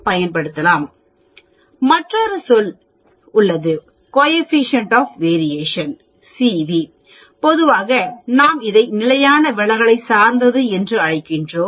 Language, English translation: Tamil, There is another terminology that is called the coefficient of variation CV, generally we call it, it is a relative standard deviation